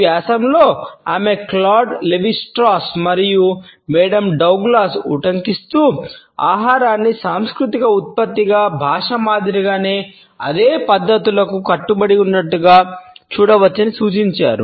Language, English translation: Telugu, In this article she has quoted Claude Levi Strauss and Mary Douglas who suggest that we can view food as adhering to the same practices as language as a cultural product